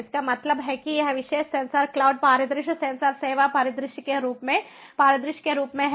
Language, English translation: Hindi, that means this particular sensor cloud scenario, sensors as a service, c as scenario